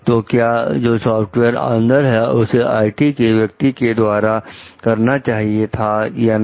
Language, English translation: Hindi, So, can the software in, like the IT person do it exactly or not